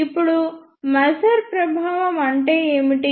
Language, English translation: Telugu, Now, what is maser effect